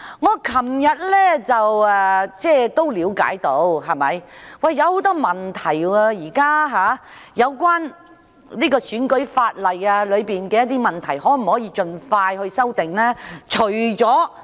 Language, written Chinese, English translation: Cantonese, 我昨天了解到，現時出現了很多有關選舉法例的問題，政府可否盡快提出修訂呢？, Yesterday I learnt that many problems relating to the electoral legislation have now emerged . Can the Government propose amendments as soon as possible?